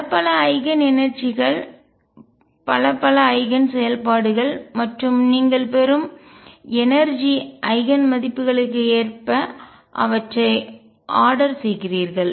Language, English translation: Tamil, Many, many Eigen energies, many, many Eigen functions and then you order them according to the energy Eigen values you are getting